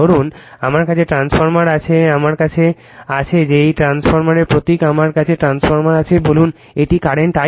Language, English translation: Bengali, Suppose I have this suppose I have this transformer I have that this is a transformer symbol I have the transformer say this is my current I 1, right